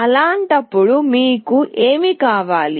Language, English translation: Telugu, In that case what do you require